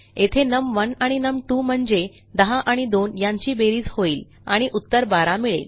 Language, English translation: Marathi, 10 and 2, num1 and num2, when 10 and 2 are added, the answer is 12